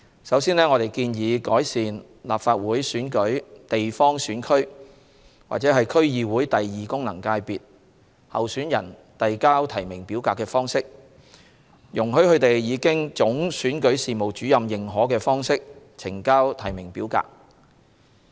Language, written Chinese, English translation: Cantonese, 首先，我們建議改善立法會選舉地方選區或區議會功能界別候選人遞交提名表格的方式，容許他們以經總選舉事務主任認可的方式呈交提名表格。, First we propose to improve the method for submitting nomination forms for the candidates for geographical constituencies or the District Council Second Functional Constituency of the Legislative Council Election by allowing them to submit the nomination form in a way authorized by the Chief Electoral Officer